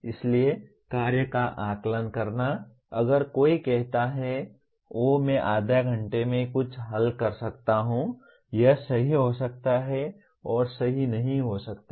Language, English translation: Hindi, So assessing the task at hand, if somebody says, oh I can solve something in half an hour, it maybe right and may not be right